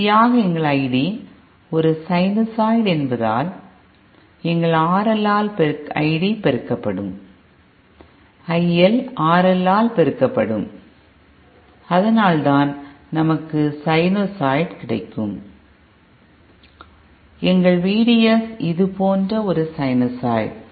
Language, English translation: Tamil, And finally ourÉ Since our I D is a sinusoid, our RL will be I D multiplied by will be IL multiplied by RL and so thatÕs why we getÉ Our V D S is a simply also a sinusoid like this